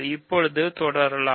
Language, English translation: Tamil, So, now, let us continue